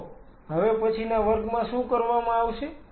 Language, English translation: Gujarati, So, what will be doing in the next class